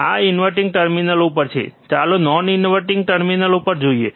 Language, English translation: Gujarati, This is at inverting terminal, let us see at non inverting terminal,